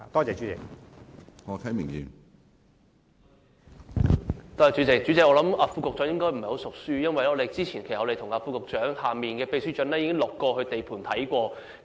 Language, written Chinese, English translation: Cantonese, 主席，我想副局長應該不太"熟書"，因為我們早前已與副局長屬下的秘書長到過地盤視察。, President I must say that the Under Secretary is not very familiar with the subject because we have conducted site visits with the Under Secretarys subordinate the Permanent Secretary